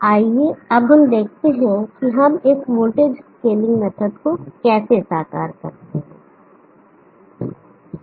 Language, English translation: Hindi, Now let us see how we go about realizing this voltage scaling method